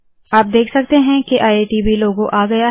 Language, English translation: Hindi, You can see that iitb logo has come